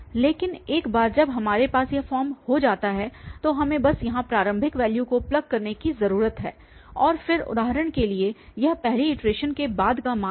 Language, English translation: Hindi, But once we have this form here, we just need to plug the initial value here and then for instance this is the value after first iteration